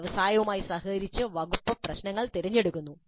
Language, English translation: Malayalam, So the department in collaboration with the industry selects the problems